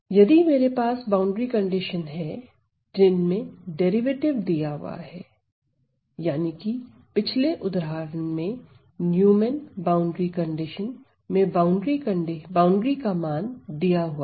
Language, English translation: Hindi, So, when I have a boundary condition in which the derivative is specified that is the Neumann boundary condition in one of the previous examples we had the value specified at the boundary